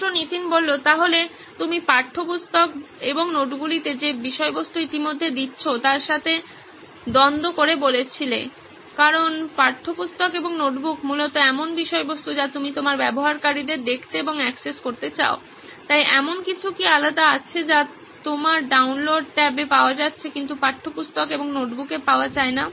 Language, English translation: Bengali, So you said in conflict with the content that you are already giving in textbooks and notebooks because textbook and notebook is essentially the content that you want your users to see and access, so is there something that is different that is going in your download tab that is not available in textbook and notebook